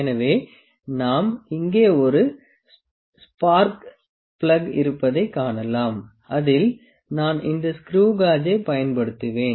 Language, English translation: Tamil, So, we can see I have a spark plug here on which I will apply this screw gauge